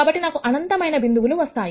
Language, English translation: Telugu, So, I can get infinite number of points